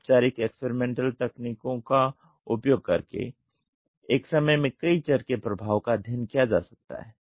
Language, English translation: Hindi, By using formal experimental techniques the effect of many variables can be studied at one time